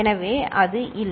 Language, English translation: Tamil, So, that is not there